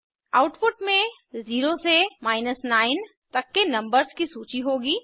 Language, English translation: Hindi, The output will consist of a list of numbers 0 through 9